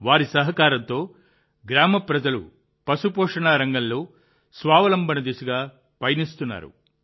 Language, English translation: Telugu, With their help, the village people are moving towards selfreliance in the field of animal husbandry